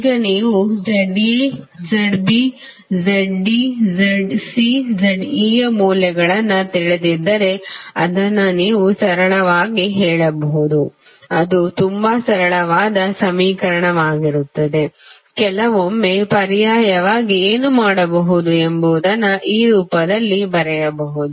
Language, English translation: Kannada, Now, if you know the values of Z A, Z B, Z D, Z C, Z E so you can simply put the value it will be very simple equation, sometimes it is difficult to write in this form what you can alternatively do